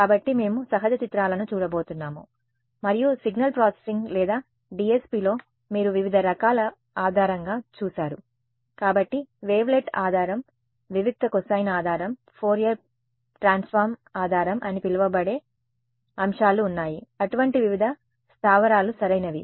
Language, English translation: Telugu, So, we are going to look at natural images and in signal processing or DSP you have looked at different kinds of basis; so, there are things called wavelet basis, discrete cosine basis, Fourier transform basis, various such bases are there right